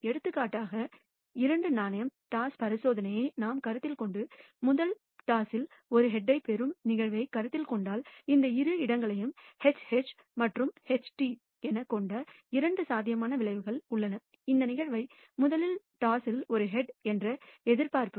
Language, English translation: Tamil, For example, for the two coin toss experiment if we consider that and consider the event of receiving a head in the first toss then there are two possible outcomes that con stitute this even space which is HH and HT we call this event a which is the observation of a head in the first toss